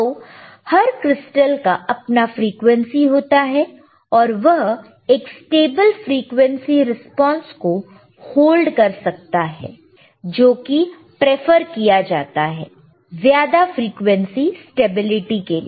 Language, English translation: Hindi, So, every crystal has itshis own frequency and it can hold or it can have a stable frequency response, preferred for greater frequency stability